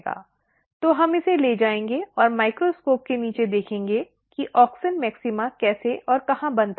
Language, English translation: Hindi, So, we will take this and see under the microscope how and where the auxin maxima is formed